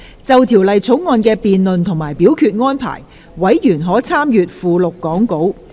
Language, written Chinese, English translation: Cantonese, 就《條例草案》的辯論及表決安排，委員可參閱講稿附錄。, Members may refer to the Appendix to the Script for the debate and voting arrangements for the Bill